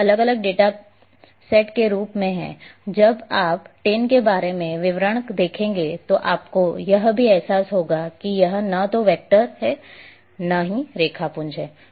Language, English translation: Hindi, It as to be different data sets, when you will see details about TIN you will also realize that this is neither vector nor raster anyway